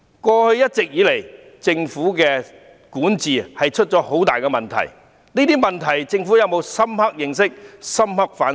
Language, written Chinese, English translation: Cantonese, 過去一直以來，政府的管治出了很大問題，對於這些問題，政府有否深刻認識和反醒？, There have been serious problems in the administration of the Government all along; has the Government clearly understood and deeply reflected on the problems?